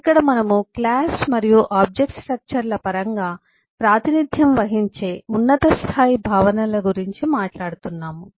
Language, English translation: Telugu, Here we are talking about high level concepts that are represented in terms of class and object structures